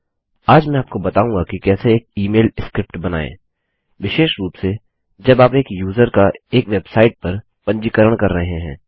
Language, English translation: Hindi, Today I will teach you how to create an email script particularly when you are registering a user onto a website